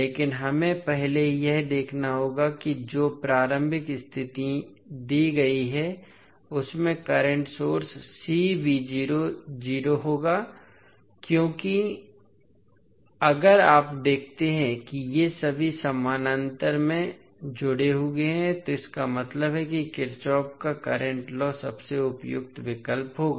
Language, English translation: Hindi, But we have to first see that initial condition which is given will have the current source C v naught because if you see these all are connected in parallel it means that Kirchhoff’s current law would be most suitable option